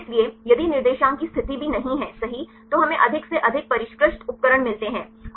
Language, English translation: Hindi, So, the position of if the coordinates are also not sure right then we get more and more sophisticated instruments